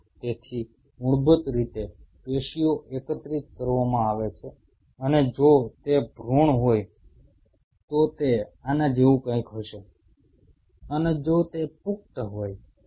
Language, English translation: Gujarati, So, basically the tissue is collected and if it is in fetus it will be something like this and if it is an adult